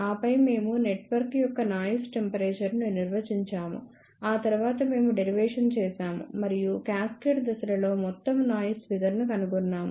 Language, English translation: Telugu, And then we defined noise temperature of the network after that we did the derivation and found out the overall noise figure for cascaded stages